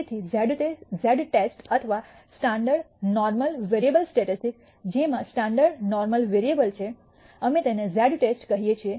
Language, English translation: Gujarati, So, the z test or the standard normal variable statistic which has a standard normal variable, we call it a z test